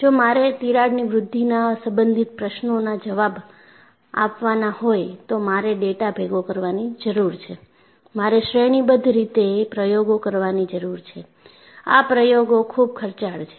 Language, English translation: Gujarati, So, if I have to answer questions related to crack growth, I need to collect data; I need to do a series of experiments and experiments is costly